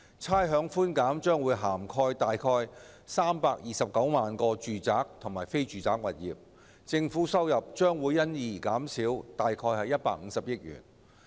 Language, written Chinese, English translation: Cantonese, 差餉寬減將涵蓋約329萬個住宅和非住宅物業，政府收入將因而減少約150億元。, This proposal will benefit around 3.29 million residential and non - residential properties and reduce government revenue by 15 billion